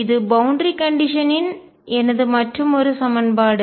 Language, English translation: Tamil, That is my other equation of the boundary condition